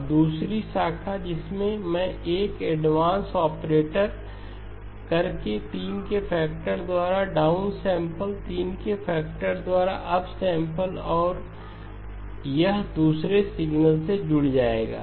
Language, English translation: Hindi, Now the second branch, I am going to introduce an advanced operator down sample by a factor of 3, up sample by a factor of 3 and this will get added to the other signal